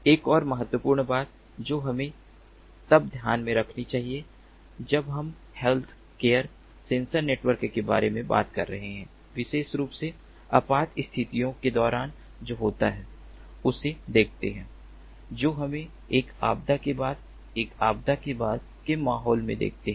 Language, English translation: Hindi, another important thing that also has to be taken into consideration when we are talking about healthcare sensor networks is that, particularly during emergencies, you know what happens is, let us see that, after a post disaster ah environment in a post disaster environment